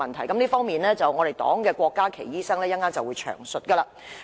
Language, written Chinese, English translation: Cantonese, 關於這方面，敝黨的郭家麒醫生稍後便會詳述。, Dr KWOK Ka - ki of our political party will discuss this aspect in detail later